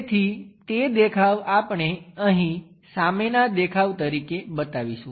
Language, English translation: Gujarati, So, that view we will show it here as front view